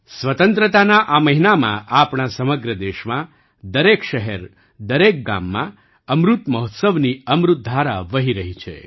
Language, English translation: Gujarati, In this month of independence, in our entire country, in every city, every village, the nectar of Amrit Mahotsav is flowing